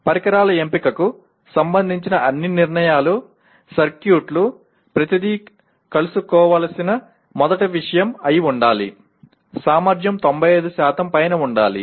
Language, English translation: Telugu, All decisions regarding the choice of devices, circuits everything should be first thing to be met is the efficiency has to above 95%